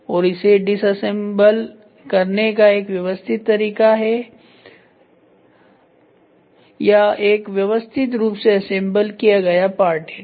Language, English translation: Hindi, So, this is a systematic way of dismantling it or a systematically assembled part